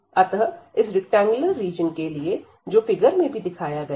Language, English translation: Hindi, So, for this rectangular region, which is also given in this figure